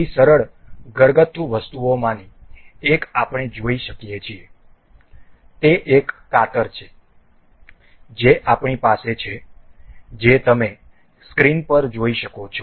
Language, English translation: Gujarati, One of such simple household item we can see is a scissor that I have that you can see on the screen is